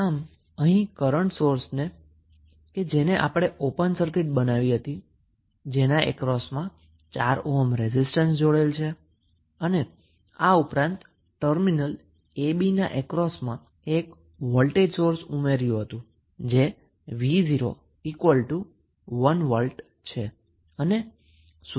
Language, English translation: Gujarati, So, here we have made the current source as open circuit which was connected across 4 ohm resistance and additionally we have added one voltage source across terminal a, b that is v naught is equal to 1 V